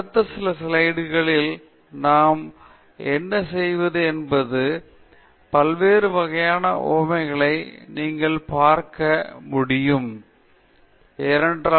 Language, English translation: Tamil, So, what we will do in the next several slides is to look at different types of illustrations that you can put up and that itself is something that we need to be aware of